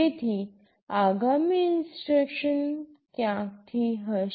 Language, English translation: Gujarati, So, the next instruction will be from somewhere else